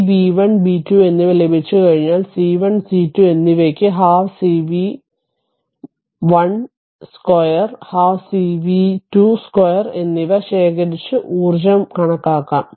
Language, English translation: Malayalam, Once you get this b 1 and b 2, you know c 1 and c 2 you can calculate half c v 1 square and half cv 2 square the energy stored right